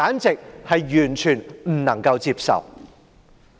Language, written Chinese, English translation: Cantonese, 這完全不能夠接受。, This approach is downright unacceptable